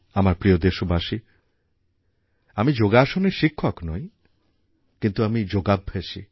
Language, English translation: Bengali, My dear countrymen, I am not a Yoga teacher